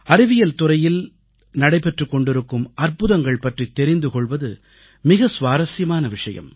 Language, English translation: Tamil, It was interesting to know about the ongoing miraculous accomplishments in the field of Science